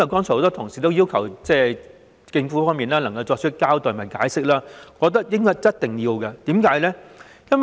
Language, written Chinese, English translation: Cantonese, 很多同事剛才要求政府作出交代和解釋，我覺得一定要這樣做。, Just now many colleagues asked the Government for a reason and an explanation . I agree that it needs to explain itself